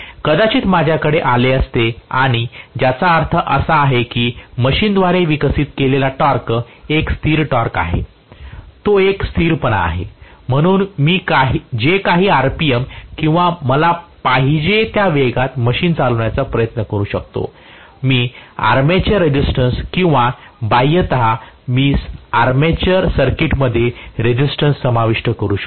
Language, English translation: Marathi, maybe if I was have got and in which means the torque is a constant the torque to be developed by the machine is fairly a constant, so I can try to run the machine at whatever rpm or whatever speed I want provided, I actually adjust my armature resistance or externally I can include a resistance in the armature circuit